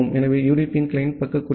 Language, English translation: Tamil, So, this is the client side code for the UDP